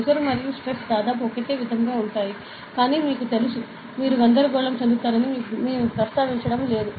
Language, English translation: Telugu, Stress and pressure are almost the same, but you know, we are not mentioning that you will be confused